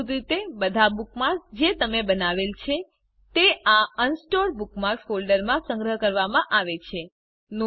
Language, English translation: Gujarati, By default all the bookmarks that you created are saved in the Unsorted Bookmarks folder